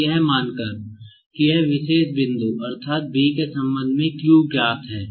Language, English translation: Hindi, Now, supposing that, this particular point, that is, Q with respect to B is known